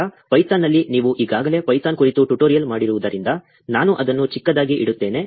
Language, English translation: Kannada, Also then in python, since you have already done a tutorial on python, I will keep it really short